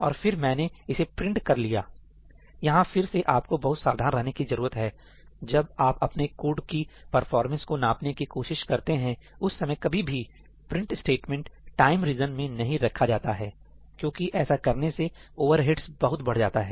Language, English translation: Hindi, And then I have just printed this, this is again something you should be very very careful about; when you are trying to gauge the performance of your code, never have printf statements inside the time regions; they cause excessive overheads